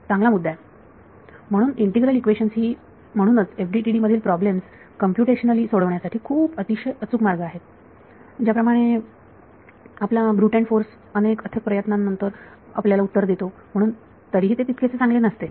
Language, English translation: Marathi, So, good point integral equations are therefore, the much more accurate ways of solving computationally in problems FDTD is like your brute force guy he gets you the answer after lot of effort and still not so good